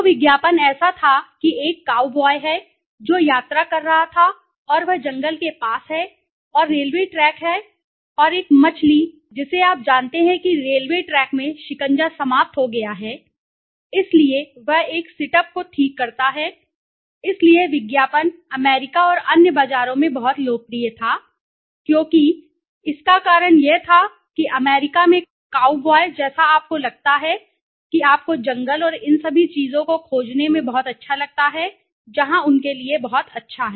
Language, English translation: Hindi, So, the ad was such that there is a cow boy who was travelling and he near a jungle forest and there is railway track and one of the fish you know the screws in the railway track has been dislodged so he fixes a sit up, so this ad was very, very popular in US and other markets because the reason was very, the reason was that in the US the cow boy like feeling you know find a forest and all these things where very new good to the, very nice to them